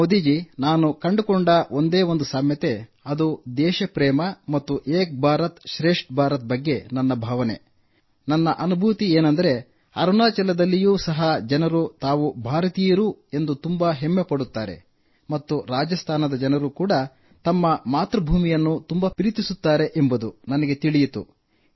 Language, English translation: Kannada, Modi ji, the one similarity I found was the love for the country and the vision and feeling of Ek Bharat Shreshtha Bharat, because in Arunachal too people feel very proud that they are Indians and similarly in Rajasthan also people are proud of their mother land